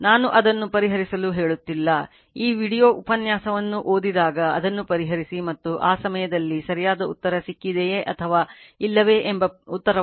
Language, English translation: Kannada, So, you please solve it answers I am not telling you solve it, when you read this video lecture you solve it and you are what you call and at the time you ask the answer whether you have got the correct answer or not will